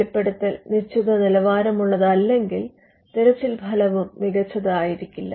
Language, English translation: Malayalam, If the disclosure is not up to the mark, there are chances that the search will not yield the best results